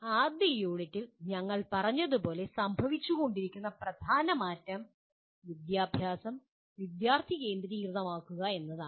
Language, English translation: Malayalam, As we said right in the first unit, the major shift that is taking place is making the education student centric